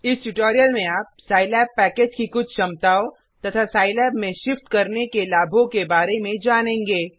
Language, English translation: Hindi, In this tutorial you will come to know some of the capabilities of the Scilab package and benefits of shifting to Scilab